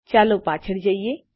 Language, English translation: Gujarati, Lets go back